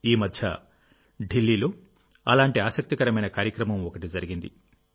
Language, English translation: Telugu, One such interesting programme was held in Delhi recently